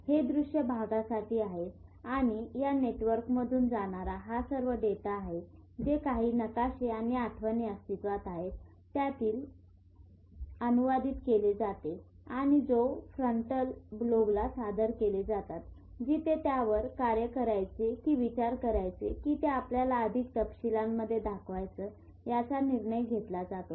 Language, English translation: Marathi, And all this data which goes in through these networks is translated compared with whatever maps and memories are existing and is presented to the frontal lobe where a decision is taken whether to act on it or to think about it and just to show you in more details